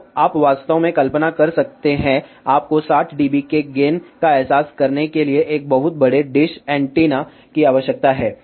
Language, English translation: Hindi, So, you can actually imagine, you need a very large dish antenna to realize gain of 60 dB